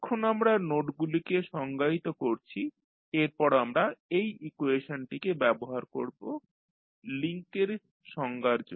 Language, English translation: Bengali, Now, we have defined the nodes next we use this equation to define the links